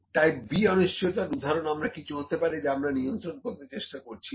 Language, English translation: Bengali, So, the examples for the type B uncertainty can be anything that we are not trying to control, ok